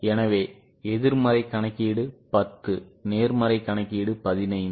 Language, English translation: Tamil, So, pessimistic calculation is 10, optimistic calculation is 15